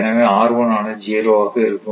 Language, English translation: Tamil, So, in that case it is 0